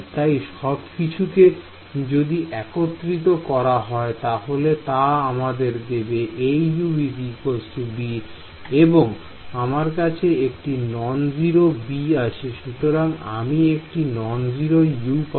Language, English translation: Bengali, So, all of this put together is going to give me A U is equal to b and I have a non zero b therefore, I will get a non zero u also right